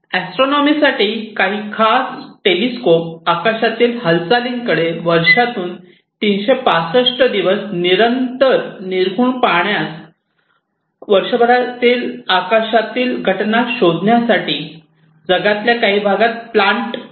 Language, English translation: Marathi, Astronomy, you know, so some of these telescopes have been planted in certain parts of the world to look at the sky continuously, round the clock 365 days, a year these are scanning the sky